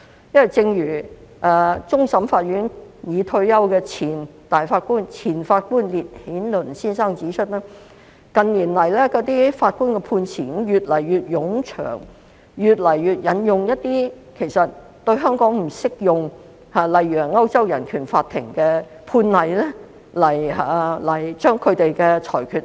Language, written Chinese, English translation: Cantonese, 因為，正如終審法院已退休的前法官烈顯倫先生指出，近年法官的判詞越來越冗長，亦越來越多引用一些對香港不適用的內容，例如引用了歐洲人權法庭的判例來合理化其裁決。, This is because as pointed out by the retired judge of CFA Henry LITTON judgments have become increasingly lengthy in recent years and contents inapplicable to Hong Kong have been cited more frequently . For example cases of the European Court of Human Rights were referred to in justifying the judgments